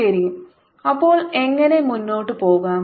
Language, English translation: Malayalam, ok, so how to proceed